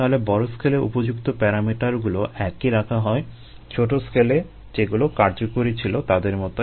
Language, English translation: Bengali, so appropriate parameters at the large scale are kept as a same as they effective once at the small scale